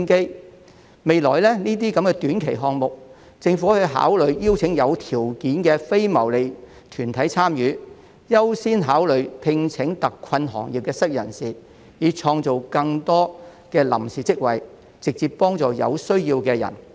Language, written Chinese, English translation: Cantonese, 對於未來這些短期項目，政府可以考慮邀請有條件的非牟利團體參與，並優先考慮聘請特困行業的失業人士，以創造更多臨時職位直接幫助有需要的人士。, In the future for those short - term projects the Government may consider inviting the participation of qualified non - profit - making organizations and giving priority consideration to employing jobless practitioners of trades in exceptional hardship so as to create more temporary jobs to directly help the people in need